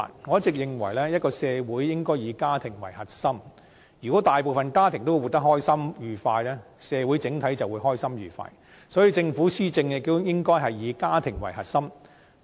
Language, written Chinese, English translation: Cantonese, 我一直認為，一個社會應該以家庭為核心，如果大部分家庭生活得開心愉快，社會整體就會開心愉快，所以政府施政應該以家庭為核心。, I always think a society should treat families as its core . If most families live happily and joyfully society as a whole will be happy and joyful so the Government should treat families as the core in its policy implementation